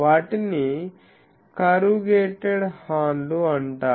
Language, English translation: Telugu, Those are called corrugated horns